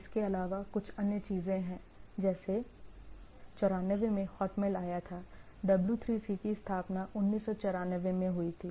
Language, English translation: Hindi, Also there are some other things like 94 Hotmail came into picture, W3C was founded in 1994